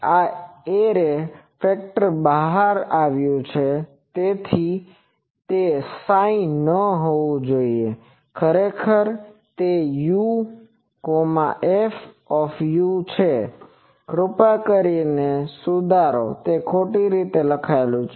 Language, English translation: Gujarati, This is the array factor turns out, here it should not be psi, actually it is u f u, u versus u please correct it, it is wrongly written